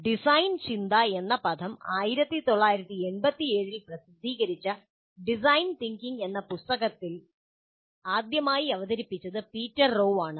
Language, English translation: Malayalam, The term design thinking was first introduced by Peter Rewe in his book titled Design Thinking, which was published in 1987